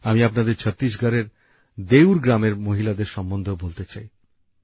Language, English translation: Bengali, I also want to tell you about the women of Deur village of Chhattisgarh